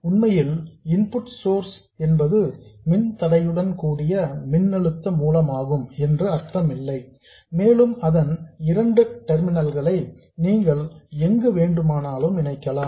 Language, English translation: Tamil, It doesn't mean that the input source is actually a voltage source with a resistance and you can connect its two terminals anywhere you want